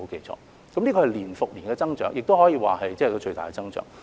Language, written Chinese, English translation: Cantonese, 這是年復年的增長，亦可以說是最大的增長。, This year - to - year growth can be said to be significant